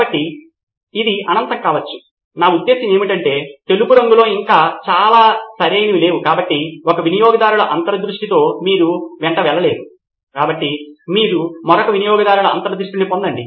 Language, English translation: Telugu, So this could be infinite I mean there are so many things that are white still not enough right, so with one customer insight you cannot go along, so let us get another customer insight